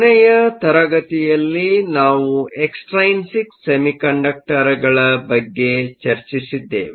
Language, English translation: Kannada, In last class, we continued discussing about extrinsic semiconductors